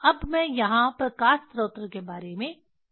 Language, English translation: Hindi, now I will discuss about the light source here